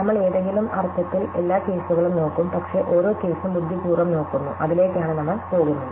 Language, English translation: Malayalam, We would in some sense look at every case, but we look at every case in a clever way and that is what, we are going to do